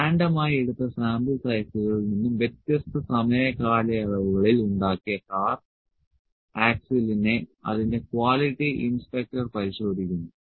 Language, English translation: Malayalam, Its quality inspector inspects the car axle produce at different time periods taking random sample sizes, random sample sizes